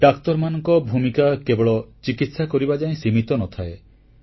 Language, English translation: Odia, The role of a doctor is not limited to mere treatment of ailments